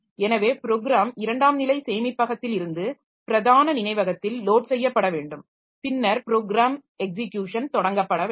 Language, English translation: Tamil, So, program has to be loaded from the secondary storage into the main memory and then the program execution should start